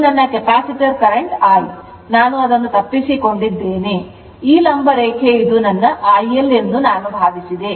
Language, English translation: Kannada, 39 whatever come this is my Capacitor current I, i missed it I thought this vertical line this is this is my I L this is 43